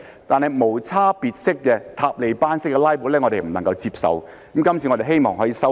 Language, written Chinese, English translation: Cantonese, 但是，無差別式、"塔利班式"的"拉布"，是我們不能夠接受的，今次我們希望可以把它修正。, That said filibustering indiscriminately or in Taliban - style is unacceptable and we hope to rectify it this time around